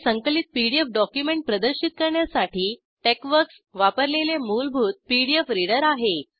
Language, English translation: Marathi, It is the default pdf reader used by TeXworks to display the compiled pdf document